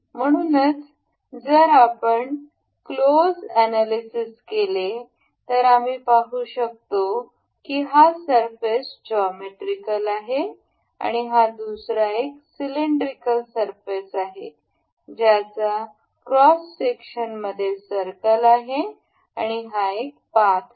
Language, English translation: Marathi, So, if you take a close analysis we can see that this surface is a geometrical this is a cylindrical surface that has a circle in in cross section and this is a path